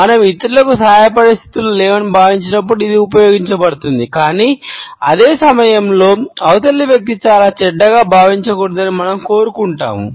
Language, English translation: Telugu, This is used when we feel that we are not in a position to help others, but at the same time, we want that the other person should not feel very bad